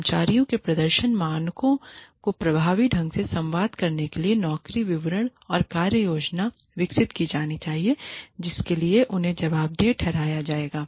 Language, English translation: Hindi, Job descriptions and work plans, should be developed, to communicate effectively to employees, the performance standards to which, they will be held accountable